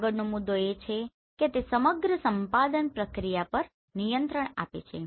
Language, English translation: Gujarati, Next point is it gives control over the whole acquisition process